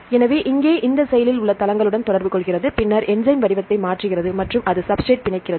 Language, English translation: Tamil, So, here it interacts with this active sites and then enzyme changes the shape and it binds the substrate